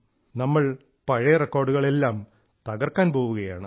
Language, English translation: Malayalam, should break all old records